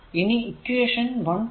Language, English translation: Malayalam, So, equation 1